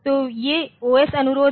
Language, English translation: Hindi, So, these are the OS requests